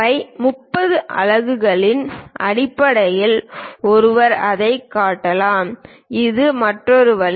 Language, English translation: Tamil, One can also show it in terms of phi 30 units this is another way